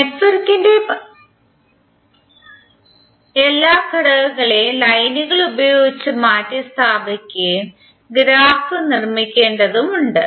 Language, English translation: Malayalam, You have to simply construct the graph which will replace all the elements of the network with lines